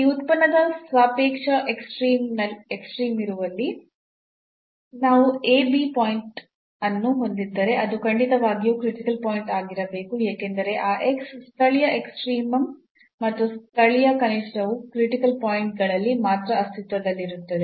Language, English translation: Kannada, So, if we have a point a b where the relative extremum exists of this function then definitely that has to be a critical point because those x, local extremum and local minimum will exist only on the critical points